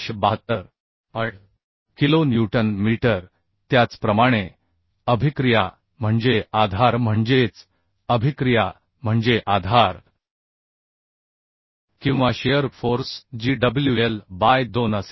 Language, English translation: Marathi, 8 kilonewton meter Similarly the reactions are support that is reactions are support or shear force that will be wl by 2 so 8